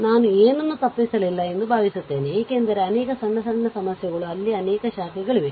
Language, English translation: Kannada, Hope I have not missed anything, because so many short problems are there so many ah branches are there